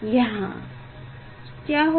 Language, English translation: Hindi, here what will happen